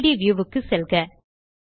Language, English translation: Tamil, Go to the 3D view